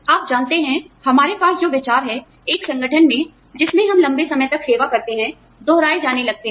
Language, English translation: Hindi, You know what, the ideas we have, in an organization that we serve, for a long time, start getting repeated